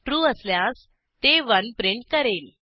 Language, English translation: Marathi, If true, it will print 1